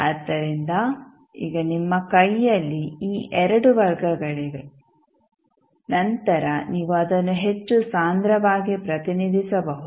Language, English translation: Kannada, So, now you have these 2 roots in your hand then you can represent it in a more compact manner